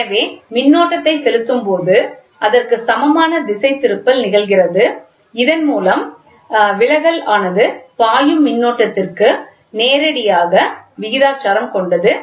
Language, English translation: Tamil, So, as and when the current is passed the deflection happens which is seen in the equilibrium, directly proportional to the current flowing through it